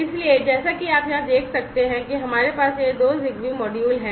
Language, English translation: Hindi, So, as you can see over here we have these two ZigBee modules